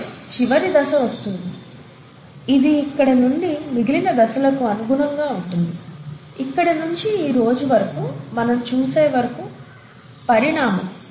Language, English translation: Telugu, And then, comes the last phase which would probably correspond to the rest of the phase all the way from here till what we see present today, is the evolution